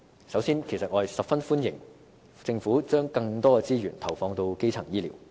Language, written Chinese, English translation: Cantonese, 首先，我十分歡迎政府把更多資源投放到基層醫療。, First of all I very much welcome the Government injecting more resources into primary health care